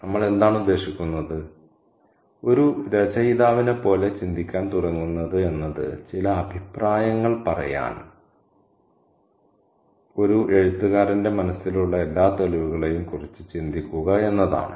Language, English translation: Malayalam, What do we mean by that to begin to think like an author is to think about all the evidences that an author has in his or her mind to make certain comments